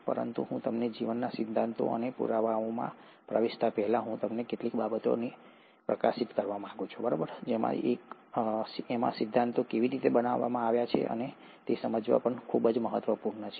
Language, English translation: Gujarati, But before I get into the theories and evidences of life, I want to highlight certain things, which are very important to understand how these theories were built up